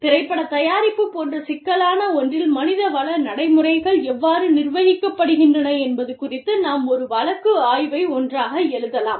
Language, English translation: Tamil, And, we can, maybe, write a case study together regarding, how HR practices are managed, in something, as complex as, film production